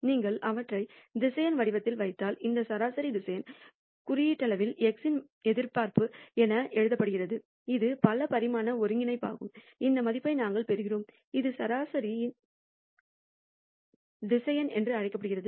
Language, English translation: Tamil, If you put them in the vector form, we get this mean vector symbolically written as expectation of x which is a multi dimensional integral, we get this value mu which is known as the mean vector